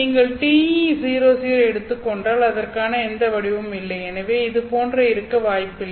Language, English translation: Tamil, If you take TE00, then there is no pattern for that and therefore such a wave will not exist at all